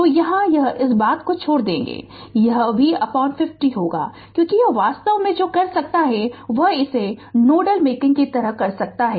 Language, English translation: Hindi, So, here it will be leaving this thing it will be V by 50 because this is actually what you can do is you can ground it right like nodal analysis we are making